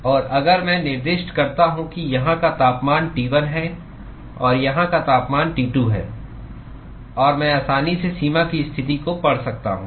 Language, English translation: Hindi, And if I specify that the temperature here is T1 and temperature here is T2 and I could easily read out the boundary conditions